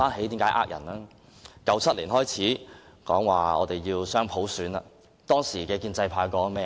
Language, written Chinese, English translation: Cantonese, 自1997年開始說要雙普選，當時的建制派說過些甚麼？, What did the pro - establishment camp say when people started to demand universal suffrage in 1997?